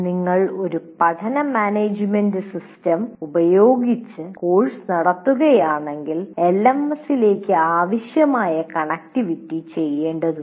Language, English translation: Malayalam, And on top of that, if you are operating using a learning management system and the necessary connectivity to the LMS has to be made